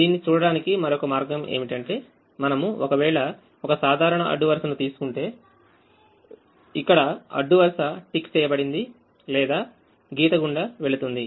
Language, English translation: Telugu, another way of looking at it is if we take a, a typical row here, the row is either ticked or has a line passing through